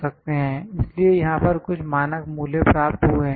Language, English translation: Hindi, So, these are the standard, some standard values which are obtained